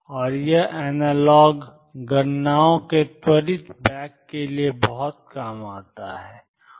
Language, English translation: Hindi, And it comes in very handy for quick back of the analog calculations